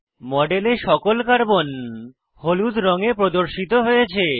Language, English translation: Bengali, All the Carbons in the model, now appear yellow in colour